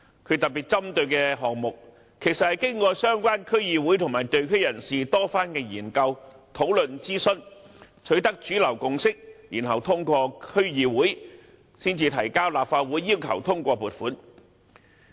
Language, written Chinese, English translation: Cantonese, 他特別針對的項目，其實是經過相關區議會和地區人士多番研究、討論和諮詢，取得主流共識，然後通過區議會，再提交立法會要求通過撥款。, The projects that he pinpointed in his criticisms are actually the results of many rounds of studies discussion and consultation conducted by DCs and members of the community . Mainstream consensuses have been forged and then approval sought from the DCs before relevant projects are submitted to the Legislative Council for funding approval